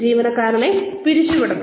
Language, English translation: Malayalam, The employee should be fired